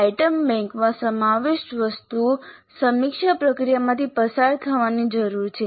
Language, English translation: Gujarati, So items included in an item bank need to go through a review process